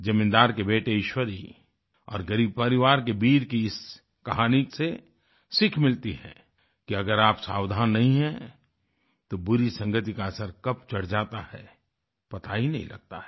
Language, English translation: Hindi, The moral of this story featuring the landholder's son Eeshwari and Beer from a poor family is that if you are not careful enough, you will never know when the bane of bad company engulfs you